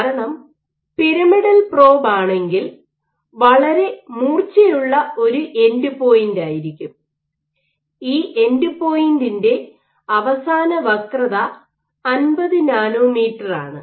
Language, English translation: Malayalam, For the simple reason is a pyramidal probe, you have a very sharp end point and this end point might be the end radius of curvature might be the order of 50 nanometres